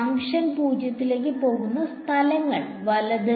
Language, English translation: Malayalam, The places where the function goes to 0, right